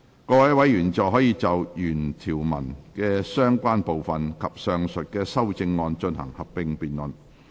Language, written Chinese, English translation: Cantonese, 各位委員現在可以就原條文的相關部分及上述的修正案進行合併辯論。, Members may now proceed to a joint debate on the relevant parts of the original clauses and the above amendments